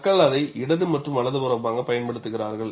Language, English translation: Tamil, People use it left and right